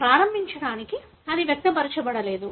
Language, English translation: Telugu, To begin with it was not expressed